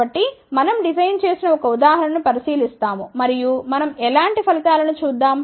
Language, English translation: Telugu, So, we will look at a one designed example and let us see then what kind of a results we get